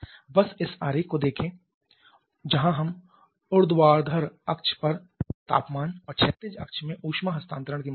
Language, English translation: Hindi, Just look at this diagram where we are having temperature on the vertical axis and amount of heat transfer in the horizontal axis